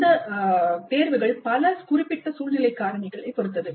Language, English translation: Tamil, These choices depend on many specific situational factors